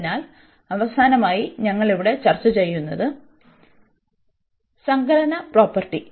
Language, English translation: Malayalam, So, the last one which we are discussing here, so that is the additive property